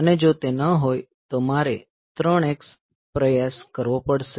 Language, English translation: Gujarati, So, then if it is not then I have to try with 3 x